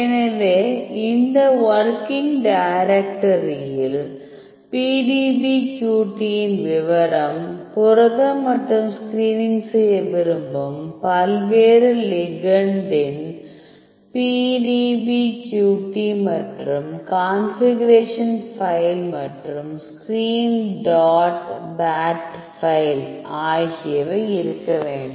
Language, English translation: Tamil, So, this working directory should contain the detail of the PDBQT of your protein the PDBQT of various ligand whatever you want to do this screening and the configuration file and the screen dot bat file